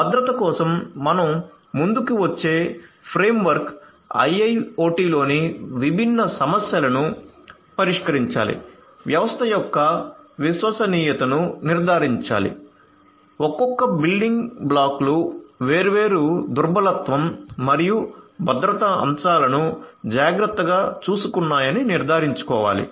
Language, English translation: Telugu, So, the framework that we come up with for security has to address different issues in IIoT, has to ensure trustworthiness of the system, has to ensure that each of the individual building blocks have taken care of the different vulnerabilities and the security aspects